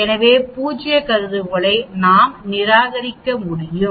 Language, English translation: Tamil, So we can reject the null hypothesis